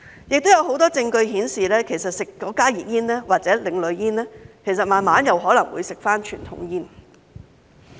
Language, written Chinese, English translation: Cantonese, 此外，有很多證據顯示，吸食加熱煙或另類煙後，慢慢可能會再吸食傳統煙。, Moreover there is a lot of evidence showing that after taking up the smoking of HTP or ASP people may gradually consume conventional cigarettes too